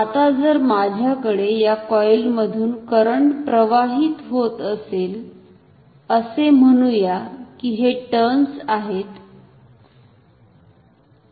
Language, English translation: Marathi, Now, if I have current passing through this coil, say these are my turns, so let me draw some turns